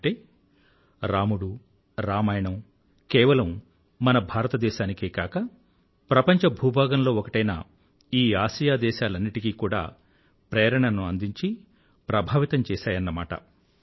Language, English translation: Telugu, This signifies that Ram & Ramayan continues to inspire and have a positive impact, not just in India, but in that part of the world too